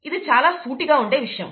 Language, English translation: Telugu, It becomes very straight forward